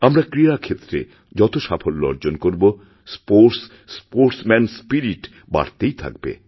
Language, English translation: Bengali, The more we promote sports, the more we see the spirit of sportsmanship